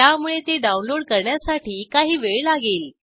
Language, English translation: Marathi, Hence, it will take some time to download